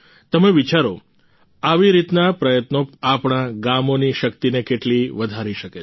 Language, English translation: Gujarati, You must give it a thought as to how such efforts can increase the power of our villages